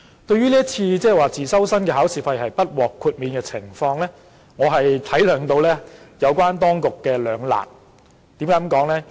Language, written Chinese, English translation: Cantonese, 對於自修生不獲代繳考試費，我體諒到有關當局面對的兩難處境，為何我這樣說呢？, As regards not paying the examination fees for private candidates I understand the dilemma faced by the authorities . Why am I saying this?